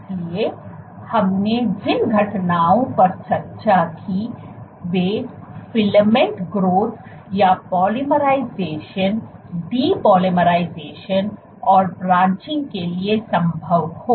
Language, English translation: Hindi, So, the events that we said we discussed are possible is filament growth or polymerization, depolymerization and branching